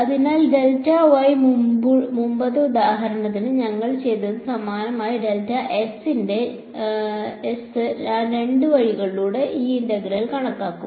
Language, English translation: Malayalam, So, exactly similar to what we did in the previous example I will calculate this integral on by both ways